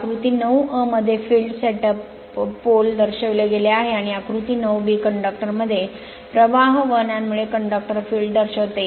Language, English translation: Marathi, Figure 9 a shows the field set up by the poles, and figure 9 b shows the conductor field due to flow of current in the conductor